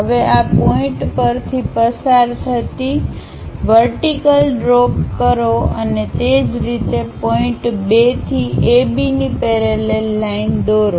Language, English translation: Gujarati, Now drop a vertical passing through this 3 point and similarly drop a parallel line parallel to A B from point 2